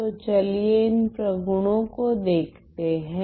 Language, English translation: Hindi, So, let us look at these properties